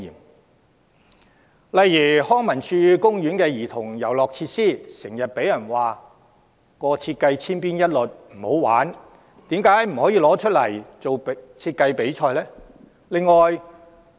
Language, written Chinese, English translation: Cantonese, 舉例來說，康文署公園的兒童遊樂設施，經常被人批評設計千篇一律、缺乏趣味，為甚麼不就此舉辦設計比賽？, For instance the childrens playgrounds in parks managed by the Leisure and Cultural Services Department have often been criticized as identically designed and uninteresting . Why not hold a design competition for childrens playgrounds?